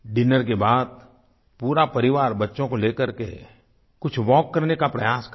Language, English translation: Hindi, After dinner, the entire family can go for a walk with the children